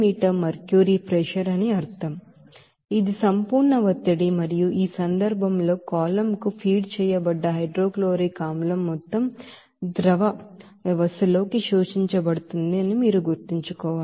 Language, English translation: Telugu, This is absolute pressure and in this case, you have to you know remember that, that all of the hydrochloric acid fed to the column is absorbed in the liquid system